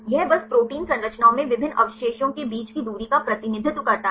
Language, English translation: Hindi, It simply represents the distance between different residues in protein structures